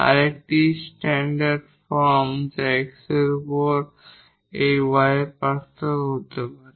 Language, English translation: Bengali, Another a standard form could be the differential of this y over x